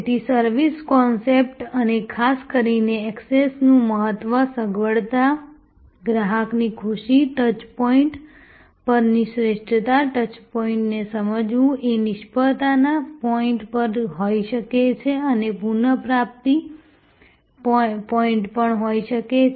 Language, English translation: Gujarati, So, the service concept and particularly the importance of access, convenience, customer delight, the excellence at touch points, understanding the touch points can also be failure points as well as can be very important recovery points